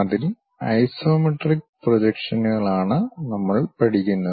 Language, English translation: Malayalam, We are learning Isometric Projections